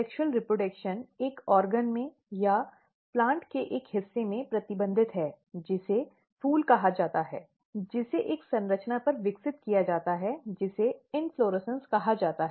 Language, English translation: Hindi, So, the sexual reproduction is restricted in an organ or in a part of the plant which is called flowers, which are developed on a structure which is called inflorescence